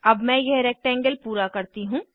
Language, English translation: Hindi, Let me complete this rectangle